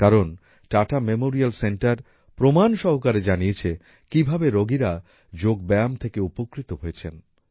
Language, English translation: Bengali, Because, Tata Memorial center has conveyed with evidence how patients have benefited from Yoga